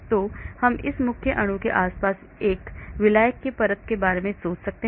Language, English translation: Hindi, So I can think of a solvent layer surrounding this main molecule